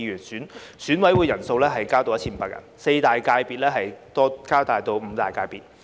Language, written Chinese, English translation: Cantonese, 選委人數增至 1,500 人，四大界別增至五大界別。, The number of EC members will be increased to 1 500 and the number of sectors will be increased from four to five